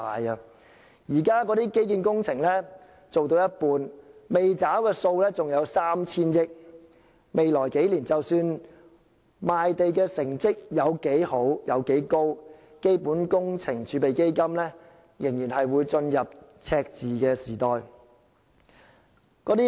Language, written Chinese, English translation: Cantonese, 現時，基建工程做到一半，未付的款項還有 3,000 億元，未來數年，無論賣地成績多好，基本工程儲備基金仍然會進入赤字時代。, At present the infrastructure projects are half - completed and the outstanding amount has reached some 300 billion . In the coming years no matter how much money will be derived from land sales the Fund will inevitably face deficit